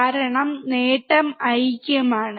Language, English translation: Malayalam, Because the gain is unity